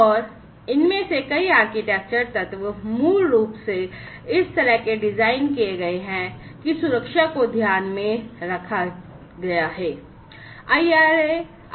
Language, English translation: Hindi, And many of these architectural elements basically have been designed in such a way that safety has been kept in mind